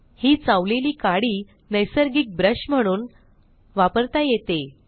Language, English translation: Marathi, * Then this chewed stick can be used as a natural brush